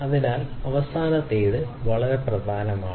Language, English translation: Malayalam, So, the last one particularly is very important